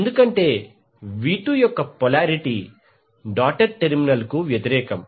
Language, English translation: Telugu, Because the polarity of V2 is opposite the doted terminal is having the negative